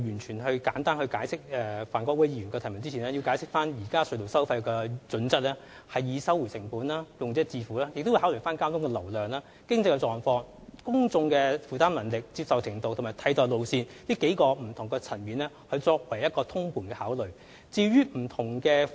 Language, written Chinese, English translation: Cantonese, 在我簡單答覆范國威議員的補充質詢之前，我想首先解釋，現時隧道收費的原則是"收回成本"及"用者自付"，當局並會根據交通流量、經濟狀況、公眾負擔能力、接受程度及替代路線，從多個不同層面通盤考慮隧道收費。, Before answering in brief to his question I must first explain that tunnel tolls are now set according to the cost - recovery and user - pays principles and with full consideration from different perspectives of various factors such as traffic flows economic conditions public affordability acceptability and alternative routes